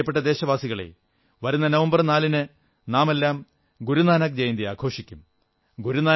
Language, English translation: Malayalam, My dear countrymen, we'll celebrate Guru Nanak Jayanti on the 4th of November